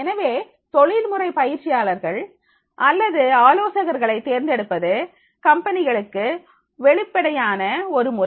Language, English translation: Tamil, The selecting professional trainers or consultants is one obvious possibility for the companies